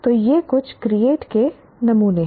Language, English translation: Hindi, So these are some create samples